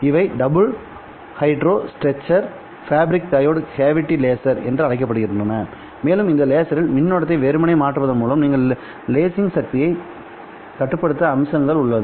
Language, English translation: Tamil, These are known as double heterostructure fabric parode cavity lasers and these lasers had this attractive feature that you can control the lasing power by simply varying the current to the laser